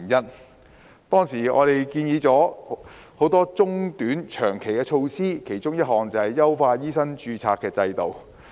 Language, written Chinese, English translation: Cantonese, 我們當時建議了多項短、中、長期的措施，其中之一就是優化醫生註冊制度。, At that time we had proposed a number of short - medium - and long - term measures one of which was to improve the medical registration mechanism